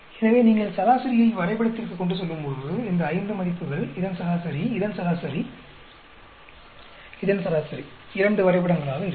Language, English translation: Tamil, So, when you plot the average, these five values, average of this, average of this, average of this into two graphs